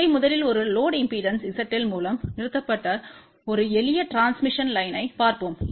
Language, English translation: Tamil, So, let us just see first a simple transmission line which has been terminated with a load impedance seidel